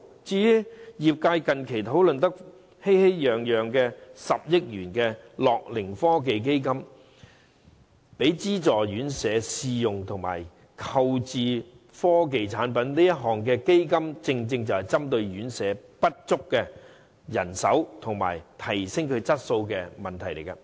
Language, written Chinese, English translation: Cantonese, 至於業界近期討論得熙熙攘攘的10億元樂齡科技基金，是供資助院舍試用及購置科技產品，正正是針對院舍人手不足及提升質素的問題。, As for the 1 billion set aside for the setting up the gerontech fund it has induced heated discussions in the industry recently . The fund provided subsidy for subsidized homes to test and procure technology products with a view to addressing the problems of manpower shortage and the need to upgrade service quality